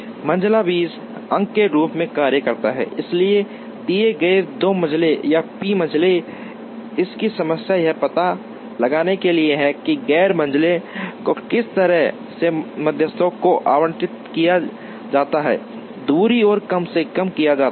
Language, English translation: Hindi, The medians acts as seed points, so given 2 medians or p medians, the problem of it is to find out, how the non medians are allocated to the medians such that, the distance is minimized